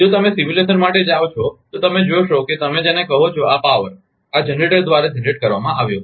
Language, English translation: Gujarati, If you go for simulation, you will see that your what you call this power had been generated by this generator